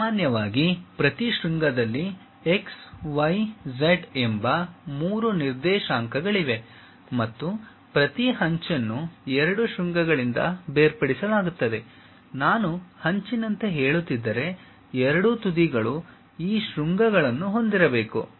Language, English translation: Kannada, Usually, each vertex has 3 coordinates x, y, z and each edge is delimited by two vertices; if I am saying something like edge; both the ends supposed to have these vertices